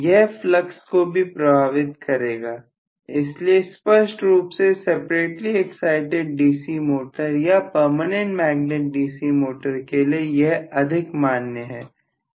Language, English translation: Hindi, It will affect flux also so this is much more valid for a separately excited DC motor or a permanent magnet DC motor, clearly